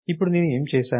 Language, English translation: Telugu, Now next what did I do